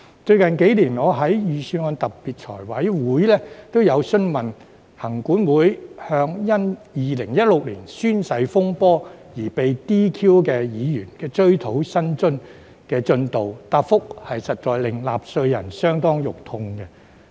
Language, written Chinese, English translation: Cantonese, 最近幾年，我在預算案的特別財務委員會均曾詢問行管會，向因2016年宣誓風波而被 "DQ" 議員的追討薪津的進度，但答覆實在令納稅人相當"肉痛"。, In recent years in special meetings of the Finance Committee I have asked LCC about the progress of recovering the remuneration paid to Members who were disqualified in the oath - taking saga in 2016 but the replies very much hurt taxpayers